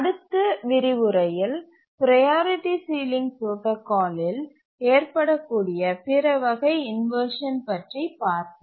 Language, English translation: Tamil, We will stop here and we'll look at the other types of inversions that can occur in the priority ceiling protocol in the next lecture